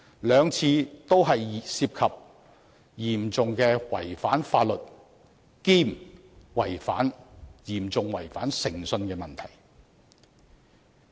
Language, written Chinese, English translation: Cantonese, 兩次彈劾都涉及嚴重違反法律及嚴重違反誠信的問題。, Both impeachments involved serious breach of law and serious breach of credibility